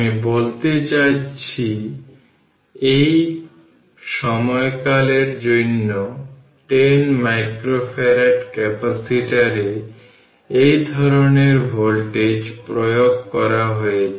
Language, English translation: Bengali, I mean this kind of voltage applied to 10 micro farad capacitor for this time duration